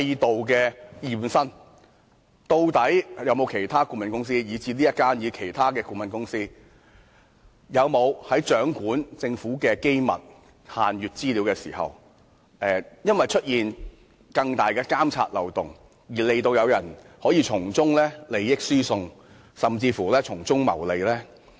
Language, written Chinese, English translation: Cantonese, 究竟有沒有其他顧問公司，即不論是這一間或其他顧問公司，在掌握政府的機密限閱資料時，因為制度存有更大的監察漏洞，令他們可從中進行利益輸送甚至謀利？, Is any other consultancy that means be it this consultancy or others able to transfer benefits or even make profits when holding the Governments confidential or restricted information because a greater loophole exists in the monitoring system?